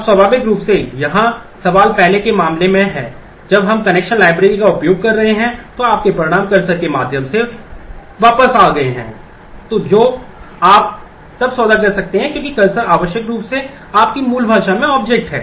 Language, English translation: Hindi, Now, naturally the question here is in the in the earlier case when we are using the connection library, your results came back through the cursor which you then could deal because the cursors are necessarily objects in your native language